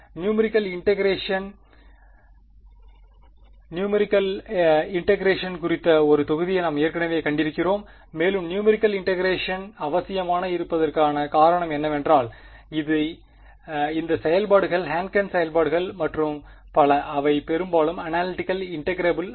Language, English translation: Tamil, Numerical integration, we have already seen one module on numerical integration and the reason why numerical integration is necessary is because these functions Hankel functions and so on, they are often not analytical integrable